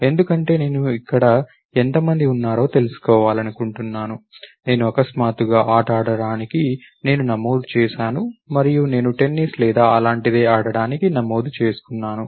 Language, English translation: Telugu, Because I would like to know how many people are there, I would have to find suddenly you know, I signed up for let us say know, game and I have registered for playing Tennis or something like that